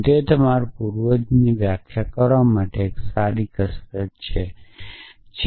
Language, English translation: Gujarati, And maybe that is a good exercise for you to define the ancestor of so when is an x in ancestor of y